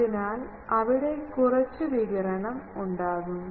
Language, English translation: Malayalam, So, there will be radiation from both of them